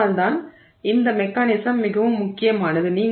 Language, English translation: Tamil, So, that is why this mechanism is very important